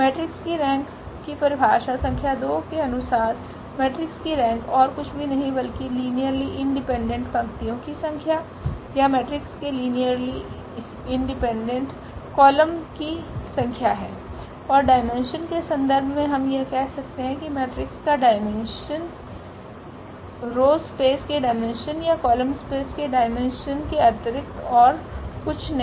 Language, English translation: Hindi, The definition number 2 the rank of a matrix is nothing but the number of linearly independent rows or number of linearly independent columns of the matrix and we in the terms of the dimension we can also say that the rank is nothing but the dimension of the row space or the dimension of the column space of A